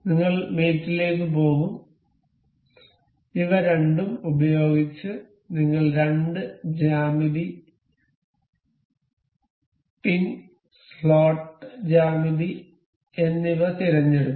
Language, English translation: Malayalam, We will go to mate, we will select the planes of these two with these are the two geometry the pin and the slot geometry